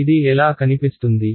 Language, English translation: Telugu, How will this guy look